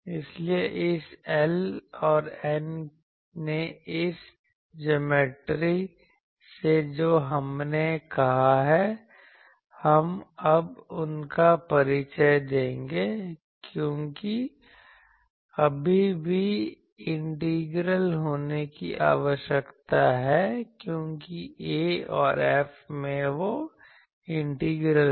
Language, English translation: Hindi, So, this L and N that from this geometry we have said, we will now introduce them because that integral still needs to be done because A and F contains those integrals